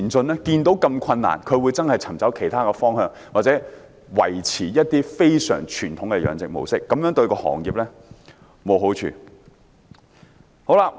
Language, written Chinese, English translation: Cantonese, 看到這麼困難，他們真的會尋找其他方向，或者維持一些非常傳統的養殖模式，但這樣對行業是沒有好處的。, When they see how difficult the situation is they will really look for other directions or maintain some very traditional fish culture techniques and this is not beneficial to the industry